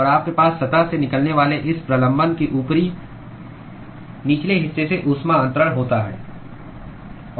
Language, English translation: Hindi, And you have heat transfer occurring from the upper and the lower part of this protrusion that comes out of the surface